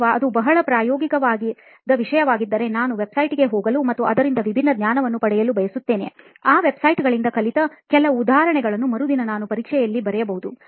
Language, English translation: Kannada, Or for something which is very practical, I prefer going on websites and getting different knowledge from it so that I could give some examples which I have learned from those websites and then put it on my exam the next day